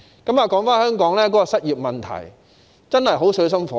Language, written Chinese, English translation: Cantonese, 說回香港的失業問題，真是水深火熱。, Back to the unemployment problem in Hong Kong which is deadly serious